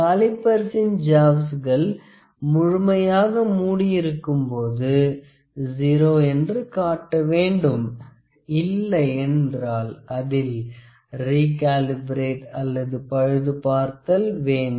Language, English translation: Tamil, When the calipers jaws are fully closed, it should indicate 0, if it does not it must be recalibrated or repaired